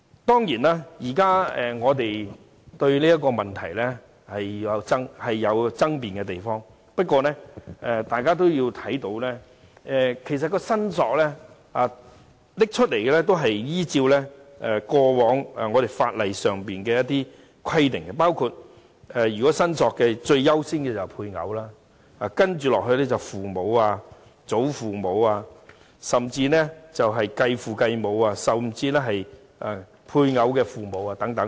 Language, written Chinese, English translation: Cantonese, 當然，現在我們對這個問題仍有爭辯之處，但我希望大家留意其實有關申索權的部分也是按照法例的一貫規定，包括最優先的申索權必然屬於配偶，接着是父母、祖父母，甚或繼父母和配偶的父母等。, Certainly now we still find this issue open to debate . But I hope Members will note that the part on claims is actually also in line with statutory requirements which accord the highest priority of claim to spouse as a matter of course followed by father mother grandfather grandmother or even step - father step - mother father - in - law and mother - in - law